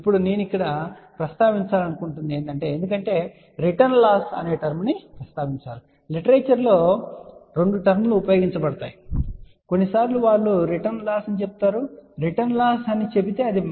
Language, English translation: Telugu, Now, I just want to mention here because the term return losses mentioned, ok see there are two terms which are used in the literature, ok sometimes they say return loss if they say return loss that is minus 20 log S 11